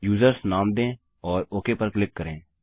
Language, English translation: Hindi, Lets name it users and click on OK